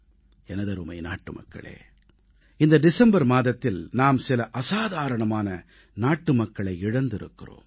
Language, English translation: Tamil, My dear countrymen, this December we had to bear the loss of some extraordinary, exemplary countrymen